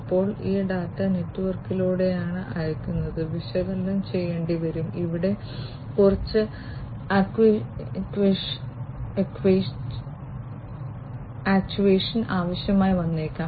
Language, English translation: Malayalam, Then this data, so this data that is being sent through the network will have to be analyzed and some actuation may be required over here